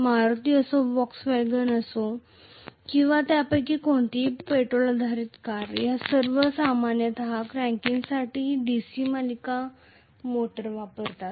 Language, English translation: Marathi, Whether it is Maruti, Volkswagen or any of them gasoline based cars all of them generally use a DC series motor for cranking up